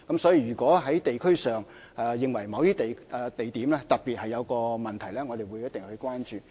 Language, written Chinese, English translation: Cantonese, 所以，如果在地區上，有意見認為某些地點特別有問題的話，我們一定會關注。, Therefore we will definitely pay attention to views in the district about particular problems at some locations